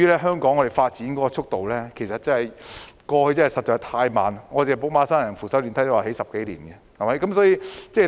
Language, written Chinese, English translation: Cantonese, 香港過去的發展速度實在太慢，寶馬山扶手電梯項目也花了10多年時間興建。, The pace of development in Hong Kong was too slow in the past . Even the escalator construction project at Braemar Hill took a decade to complete